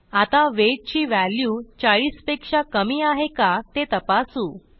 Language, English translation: Marathi, So We are checking if the value of weight is less than 40